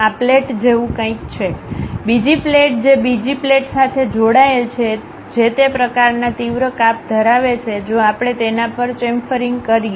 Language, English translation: Gujarati, These are something like a plate, next plate attached with another plate that kind of sharp cuts if we have it on that we call chamfering